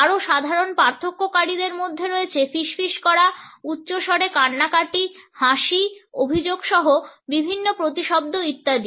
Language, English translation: Bengali, The more common differentiators include whispering the loud voice crying, laughing, complaining etcetera with various synonyms